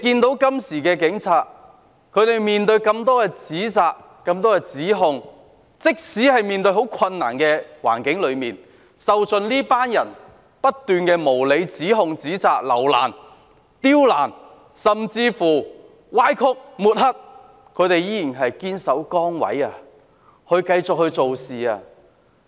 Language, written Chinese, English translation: Cantonese, 大家看到，警察今天面對這麼多指責和指控，即使面對艱難的環境，受盡這些人的無理指控、指責、刁難，甚至歪曲事實和抹黑，但他們依然堅守崗位，繼續工作。, There is no way to investigate the case . As we can see today the Police are faced with so many criticisms and accusations . Even in such a predicament bearing all the unreasonable accusations and criticisms levelled by these people who make things difficult and even distort the facts and smear them they remain steadfast in their posts and continue to discharge their duties